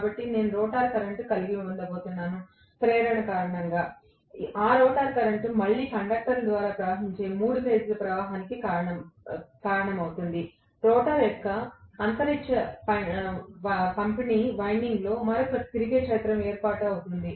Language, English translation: Telugu, So, I am going to have a rotor current, because of the induction, that rotor current is going to cause again a 3 phase currents flowing through the conductors, in space distributed winding of the rotor will cause another revolving field to be set up